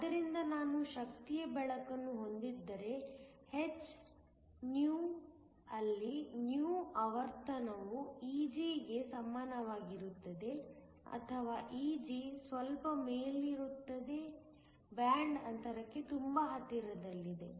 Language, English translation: Kannada, So, if I have light of energy h υ, where υ is the frequency equal to Eg or slightly above Eg is very close to the band gap